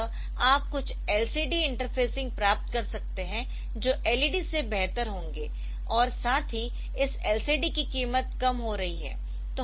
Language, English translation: Hindi, So, that way you can get some LCD interfacing which will be better than led and also the price of this LCD they are coming down